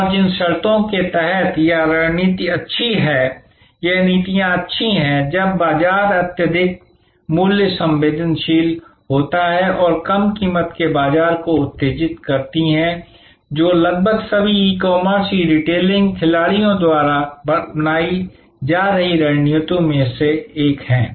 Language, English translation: Hindi, And the conditions under which this strategies good, this policies good is, when the market is highly price sensitive and there low price stimulates market growth, which is one of the strategies being adopted by almost all e commerce, e retailing players